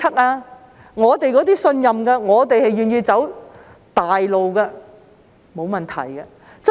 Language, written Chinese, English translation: Cantonese, 而我們這些信任政府的人，願意走大路的，則沒有問題。, And for those of us who trust the Government and are willing to take the main road there is no problem